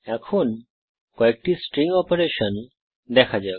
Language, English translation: Bengali, Let us look at a few string operations